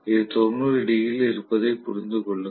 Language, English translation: Tamil, Please understand this is at 90 degrees